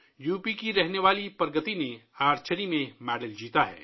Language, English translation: Urdu, Pragati, a resident of UP, has won a medal in Archery